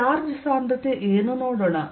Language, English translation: Kannada, let us see what is the charge density